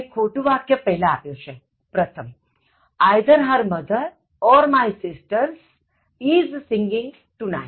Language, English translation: Gujarati, The wrong usage is given first: Either her mother or my sisters is singing tonight